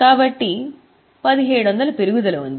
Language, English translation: Telugu, So, 17,000 increase